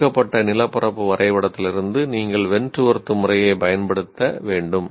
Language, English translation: Tamil, You have to do it from a given topographical map and that too you have to use Wentworth method